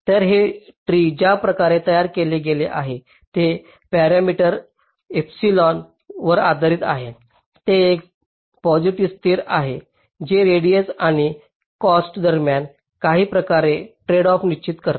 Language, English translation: Marathi, now the way this tree is constructed is based on parameter epsilon, which is a positive constant which determines some kind of a tradeoff between radius and cost